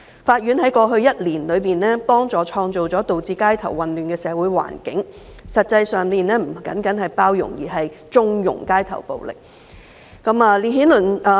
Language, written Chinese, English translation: Cantonese, 法院在過去一年，協助創造了導致街頭混亂的社會環境，實際上，這不僅是包容，而是縱容街頭暴力。, Over the past year the courts had helped to create the social environment leading to the mayhem wrought on the streets . In fact this was not only tolerance but also connivance of street violence